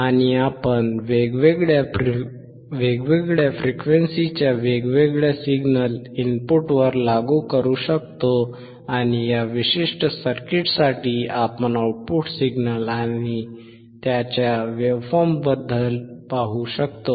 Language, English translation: Marathi, And we can apply different signal at the input of different frequency and correspondingly for this particular circuit we will see the change in the output signal and also its waveform